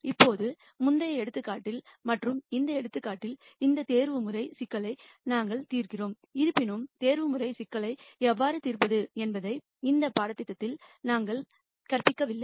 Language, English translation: Tamil, Now, in the previous example and in this example, we are solving these op timization problems; however, we have not taught in this course how to solve optimization problems